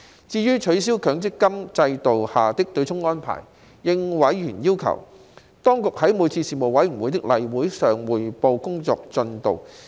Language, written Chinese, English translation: Cantonese, 至於取消強制性公積金制度下的對沖安排，應委員要求，當局在每次事務委員會的例會上匯報工作進度。, As for the abolishment of the offsetting arrangements under the Mandatory Provident Fund System the Administration provided at the request of members an update on the work progress at each regular Panel meeting